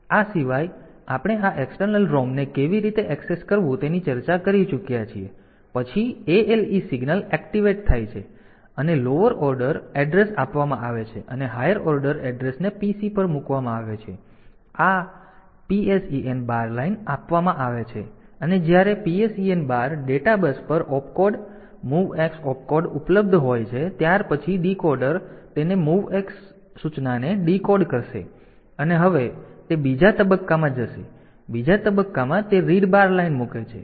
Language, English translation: Gujarati, So, that is though this apart we have already discussed how to access this external ROM ale signal is activated the address is given lower order address given the higher order address is put on the pc high and this PSEN bar line is given when PSEN bar is going high the data the Opcode MOVX Opcode is available a on to the data bus then the decoder will decode that MOVX instruction and now it will go in to the second stage second stage and in that second stage it has to it puts the read bar line